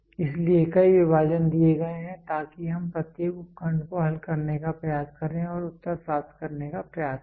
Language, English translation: Hindi, So, there are several divisions given so let us try to solve each subdivision and try to get the answer